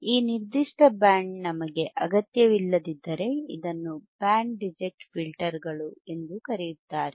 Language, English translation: Kannada, thisIf this particular band we do not require, Reject; that means, it is also called Band Reject Filters all right got it